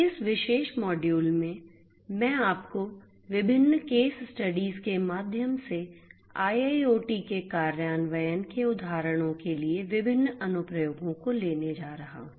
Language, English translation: Hindi, In this particular module I am going to take you through different case studies different applications for examples of implementation of IIoT